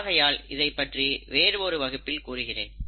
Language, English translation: Tamil, So I’ll cover that in a separate class